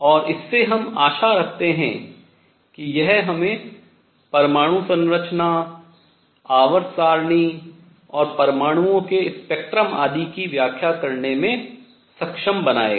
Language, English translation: Hindi, And what we anticipate with this we should be able to explain atomic structure, periodic table and spectra of atoms and so on